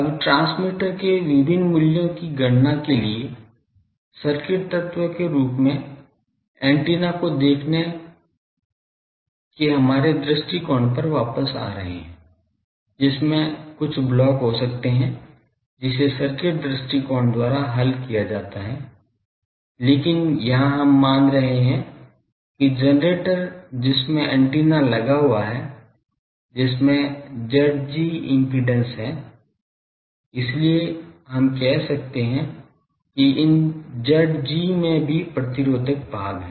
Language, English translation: Hindi, Now, coming back to our approach of visualising antenna as a circuit element for calculating various values of transmitter, which may have some blocks which are analyzed by circuit approach; so, here we are assuming that the generator that is having a driving the antenna, that has an impedance of Z g so, this Z g also, we can say that these Z g is also having a resistive part